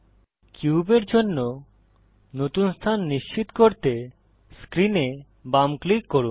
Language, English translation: Bengali, Left click on screen to confirm a new location for the cube